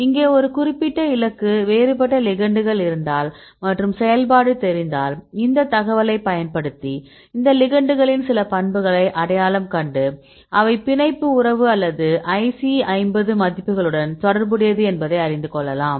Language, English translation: Tamil, So, here if you have a different ligands for a particular target, and if we know the activity then we use this information to identify some properties of these ligands to see which can relates the binding affinity or these IC50 values